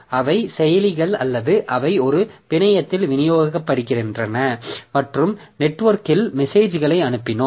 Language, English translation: Tamil, So they are the processors, they are distributed over a network and over the network we send messages, receive messages like that